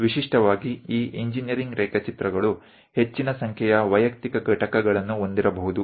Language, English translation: Kannada, Typically these engineering drawings may contains more than 10 Lakh individual components